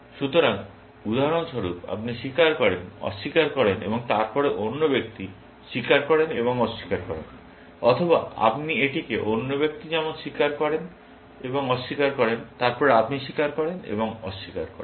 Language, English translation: Bengali, So, for example, you confess, deny, and then, the other person, confesses and denies, or you can construct it like the other person confesses and denies, and then, you confess and deny